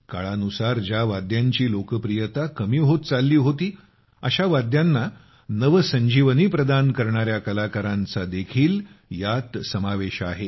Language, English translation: Marathi, These also include artists who have breathed new life into those instruments, whose popularity was decreasing with time